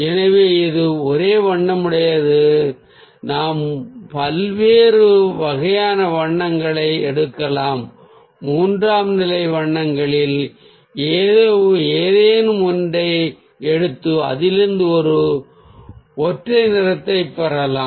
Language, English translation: Tamil, we can ah take different kind of colours, even we can pick up any of the tertiary colours and get a monochrome out of it